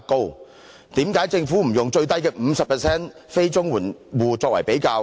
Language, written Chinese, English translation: Cantonese, 為何政府不以最低的 50% 非綜援住戶作為比較？, Why did the Government not use the lowest 50 % of non - CSSA households for comparison?